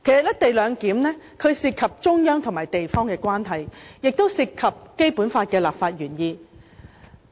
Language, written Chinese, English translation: Cantonese, "一地兩檢"涉及中央與地方的關係，亦涉及《基本法》的立法原意。, The co - location arrangement involves the relationship between the Central Government and its local administrative region . It also involves the legislative intent of the Basic Law